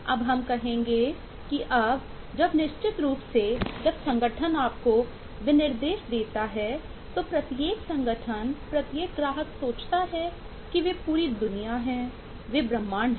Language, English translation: Hindi, now we will say that now when, certainly when the organisation give you the specification, the, every organisation, every customer thinks that they are the whole world, they are the universe